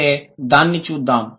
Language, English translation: Telugu, Let's look at it